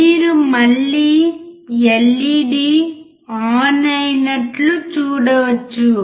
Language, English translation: Telugu, You can again see the LED glowing